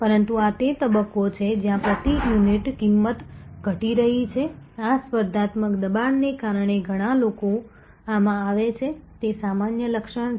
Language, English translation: Gujarati, But, this is stage where price per unit is going down, because of this competitive pressure many people coming in this is the normal feature